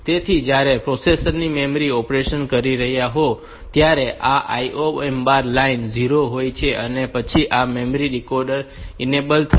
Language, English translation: Gujarati, So, when the memory of the processor is doing memory operation then these IO M bar line is 0, and then this memory decoder will be enabled